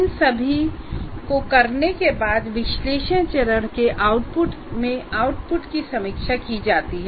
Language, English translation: Hindi, And having done all this, the output of the analysis phase is peer reviewed